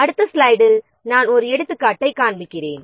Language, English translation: Tamil, One example I will show in the next slide